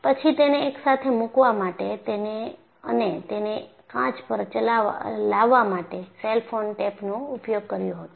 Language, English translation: Gujarati, And then, I use cellophane tape to put them together and bring it to the class